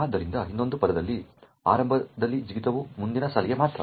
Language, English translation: Kannada, So, in another words initially the jump is just to the next line